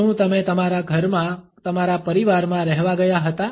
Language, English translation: Gujarati, Did you move into your home your family did you live